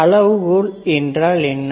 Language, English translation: Tamil, What is criteria